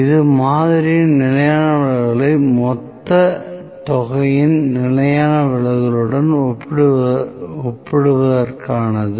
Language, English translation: Tamil, This is for comparing the sample standard deviation to the population standard deviation